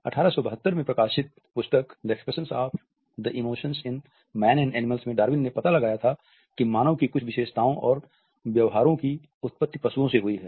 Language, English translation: Hindi, In this book the expression of the emotions in man and animals which was published in 1872, Darwin explored the animal origins of certain human characteristics and behaviors